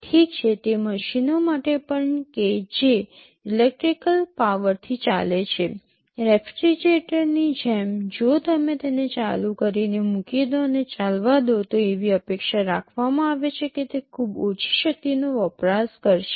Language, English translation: Gujarati, Well even for machines which operate from electric power, like a refrigerator if you put it on and go away, it is expected that it will consume very low power